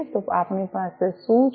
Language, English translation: Gujarati, So, what we have